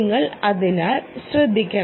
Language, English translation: Malayalam, you just have to look out for it